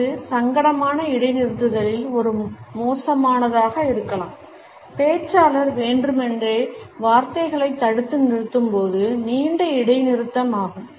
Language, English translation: Tamil, It can be an awkward in embarrassing pause, a lengthy pause when the speaker deliberately holds back the words